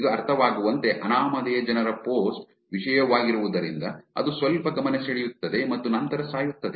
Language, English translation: Kannada, Understandably, that because it is an anonymous people kind of post content, it gets little bit of attention and then dies off